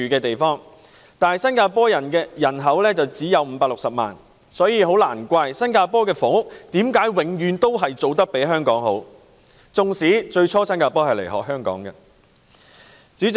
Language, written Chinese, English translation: Cantonese, 但是，新加坡人口只有560萬，難怪新加坡的房屋工作永遠做得較香港好——即使其實以往是新加坡學習香港的做法。, However the population of Singapore is only 5.6 million . No wonder Singapore has always outperfomered Hong Kong with respect to housing even though Singapore used to learn from Hong Kong in the past